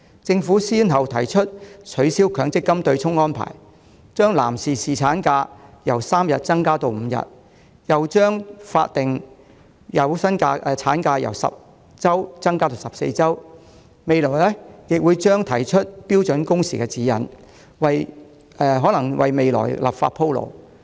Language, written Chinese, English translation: Cantonese, 政府先後提出取消強積金對沖安排，把男士侍產假由3天增加至5天，又把法定有薪產假由10周增加至14周，未來亦將提出標準工時指引，或為立法鋪路。, The Government proposed first the abolishment of the MPF offsetting arrangement then the extension of paternity leave for male employees from 3 days to 5 days followed by the extension of statutory paid maternity leave from 10 weeks to 14 weeks . Meanwhile a guideline on standard working hours is set to be introduced in the future possibly paving the way for legislation